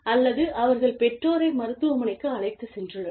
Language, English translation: Tamil, Or, they have taken their parents to the hospital